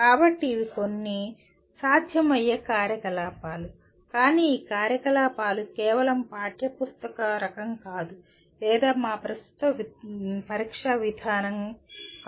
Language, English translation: Telugu, So these are some possible activities but these activities are not merely textbook type nor just come into the purview of a what do you call our present method of examination